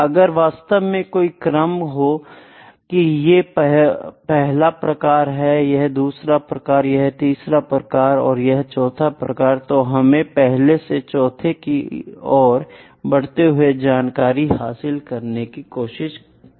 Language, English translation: Hindi, So, actually, there is an order associated where this is the first kind, this is a second kind, this is the third, this is the fourth, as we are moving from the first to fourth the extent of information is increasing